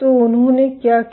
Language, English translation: Hindi, So, what they did